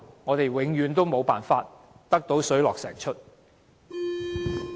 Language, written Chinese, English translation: Cantonese, 我們永遠無法讓它水落石出。, We will never find out the answer